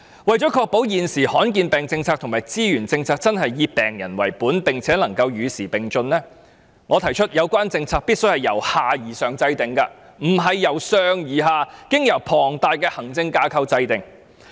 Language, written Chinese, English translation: Cantonese, 為確保現時罕見疾病的政策及資源分配政策真的以病人為本，並且與時並進，我提出制訂有關政策時必須由下而上，不是由上而下，經由龐大的行政架構制訂。, In order to ensure that the policy on rare diseases and the resources allocation are patient - oriented and abreast of the times I propose that the policy should be formulated using a bottom - up approach rather than top - down through an enormous administrative framework